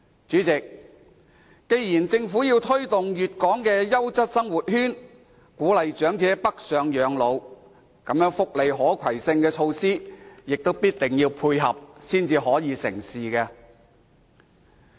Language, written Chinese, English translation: Cantonese, 主席，既然政府要推動粵港優質生活圈，鼓勵長者北上養老，那麼，福利可攜性措施也必定要配合，方能成事。, President as the Government wishes to develop the Guangdong - Hong Kong Quality Living Circle to create incentives for the elderly to live their twilight years in the Mainland there must be corresponding measures allowing portability of welfare benefits so that the goal will be achieved